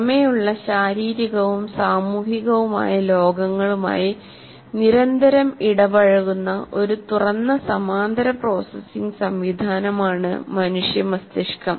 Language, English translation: Malayalam, And the human brain is an open parallel processing system continually interacting with physical and social worlds outside